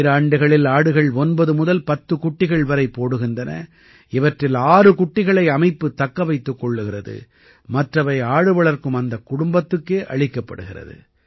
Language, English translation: Tamil, Goats give birth to 9 to 10 kids in 2 years, out of which 6 kids are kept by the bank, the rest are given to the same family which rears goats